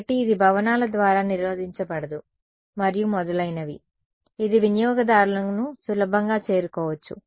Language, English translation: Telugu, So, that it is not blocked by buildings and so on, it can easily reach users ok